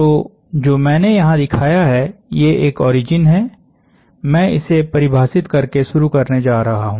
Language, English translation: Hindi, So what I have shown here is, I am going to now start by defining an origin